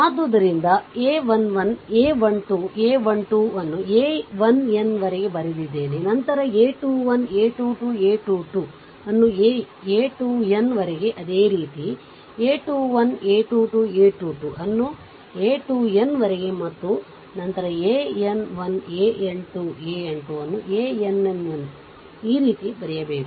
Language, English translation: Kannada, So, if it is given like little bit bigger I have written the a 1 1, a 1 2, a 1 3 up to a 1 n, then a 2 1, a 2 2, a 2 3 up to a 2 n, right similarly, a 3 1, a 3 2, a 3 3 up to a 3 n, and then a n 1, a n 2, a n 3 up to a n n